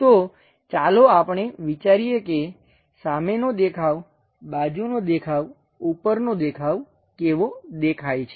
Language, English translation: Gujarati, So, let us guess how these front view side view top view looks like